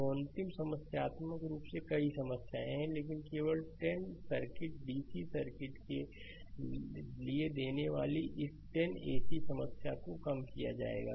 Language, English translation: Hindi, A last problem I actually have many problems, but only this 10 I am giving for dc circuit only ac circuit problem will be reduce